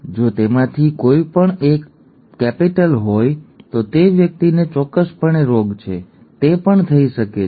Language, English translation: Gujarati, If one of them is capital then the person definitely has the disease, that can also happen